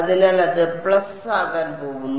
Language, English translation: Malayalam, So, it is going to be plus and then